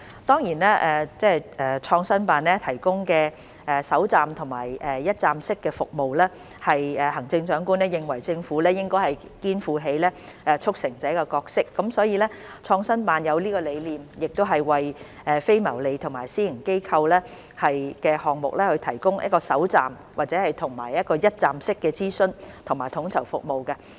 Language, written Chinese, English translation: Cantonese, 當然，創新辦提供首站及一站式服務，是行政長官認為政府應該肩負起促成者的角色，所以創新辦才有這個理念，為非牟利和私營機構的項目提供首站及一站式的諮詢和統籌服務。, Of course the provision of first - stop and one - stop services by PICO springs from the Chief Executives belief that the Government should take up the role of a facilitator . This has driven PICO to provide first - stop and one - stop consultation and coordination services for projects organized by non - profit - making and private organizations